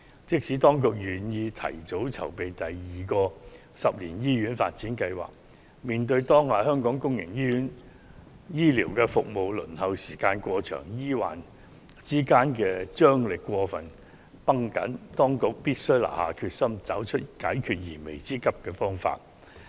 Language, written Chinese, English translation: Cantonese, 即使當局願意提早籌備第二個十年醫院發展計劃，面對當下香港公營醫療服務輪候時間過長，醫患之間張力過分繃緊的問題，當局須下定決心，找出解決燃眉之急的方法。, Although the Government is willing to advance the planning for the second 10 - year hospital development plan in the light of the problems with public health care services in Hong Kong such long waiting time and acute tension between medical professionals and patients the Government must determine to find solutions to these pressing problems